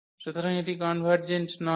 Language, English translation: Bengali, So, this is not convergent